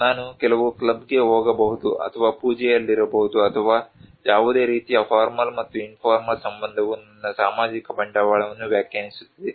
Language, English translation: Kannada, Like I can go to some club or maybe in a puja or in so any kind of formal and informal relationship defines my social capital